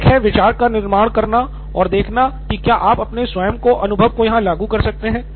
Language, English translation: Hindi, One is to build on the same idea and see if you can think of your own experience